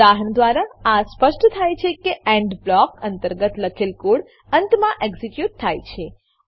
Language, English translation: Gujarati, From the example, it is evident that The code written inside the END blocks get executed at the end